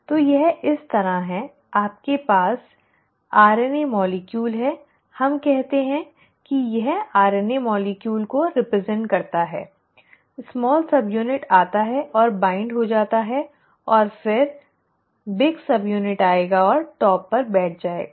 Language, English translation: Hindi, So, it is like this; you have the RNA molecule, let us say this represents the RNA molecule, the small subunit comes and binds and then the big subunit will come and sit on top